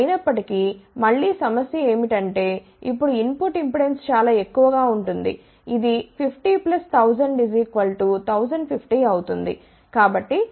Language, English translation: Telugu, However, again the problem will be that the input impedance now will be very high, it will be 50 plus 1000, which will be equal to 1050